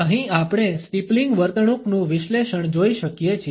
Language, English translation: Gujarati, Here we can look at an analysis of the steepling behavior